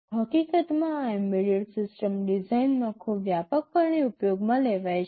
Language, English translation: Gujarati, In fact and these are very widely used in embedded system design